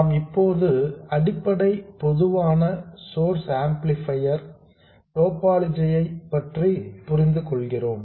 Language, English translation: Tamil, We now understand the basic common source amplifier topology